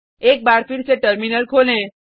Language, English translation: Hindi, Open the Terminal once again